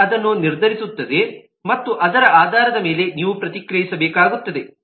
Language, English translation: Kannada, the client will decide that and based on that you will have to react